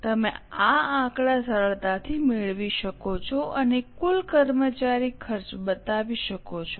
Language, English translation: Gujarati, You can easily take these figures and go for showing the total employee costs getting it